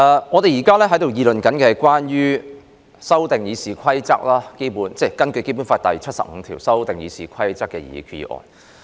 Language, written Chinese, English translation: Cantonese, 我們現在辯論的，是根據《基本法》第七十五條動議修訂《議事規則》的擬議決議案。, We are now having a debate on the proposed resolution under Article 75 of the Basic Law to amend the Rules of Procedure RoP